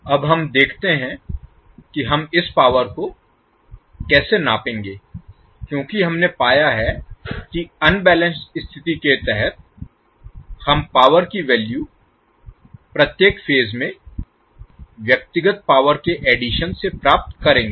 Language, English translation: Hindi, Now let us see how we will measure this power because we have found the condition that under unbalanced condition we will get the value of power P as a sum of individual powers in each phase